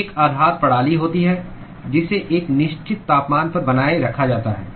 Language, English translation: Hindi, There is a base system which is maintained at a certain temperature